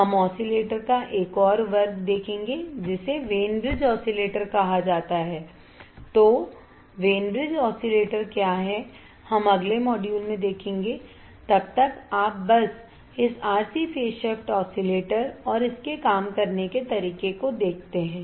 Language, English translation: Hindi, So, what are Wein bridge oscillators; we have we will see in the next module, till then you just see this RC phase shift oscillator and its functioning